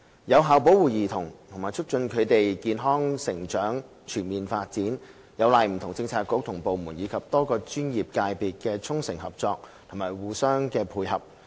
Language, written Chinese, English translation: Cantonese, 有效保護兒童和促進他們的健康成長和全面發展，有賴不同政策局和部門，以及多個專業界別的衷誠合作與互相配合。, Effective protection of children and promotion of their healthy growth and holistic development hinge on the sincere cooperation and collaboration among different Policy Bureaux and departments as well as various professional sectors